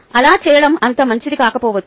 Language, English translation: Telugu, it might be not so good to do that